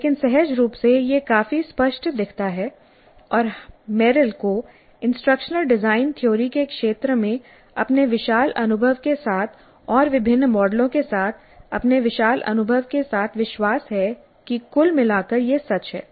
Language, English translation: Hindi, We do not have too much of empirical evidence to support this but intuitively it looks fairly clear and Merrill with this vast experience in the field of instructional design theory and with his vast experience with various models feels confident that by and large this is true